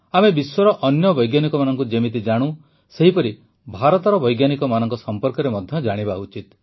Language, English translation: Odia, The way we know of other scientists of the world, in the same way we should also know about the scientists of India